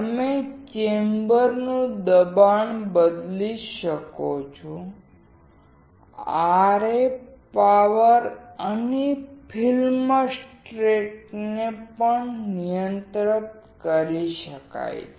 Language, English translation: Gujarati, You can change the chamber pressure, RF power and film stress can also be controlled